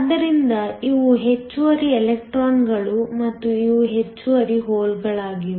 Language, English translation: Kannada, So, these are the excess electrons and these are the excess holes